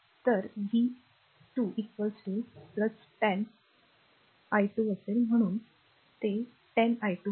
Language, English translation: Marathi, So, v 2 is equal to it will be plus 10, i 2 that is why it is 10 i 2